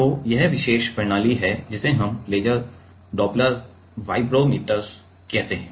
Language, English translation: Hindi, So, there is this particular system we call laser dopler vibrometer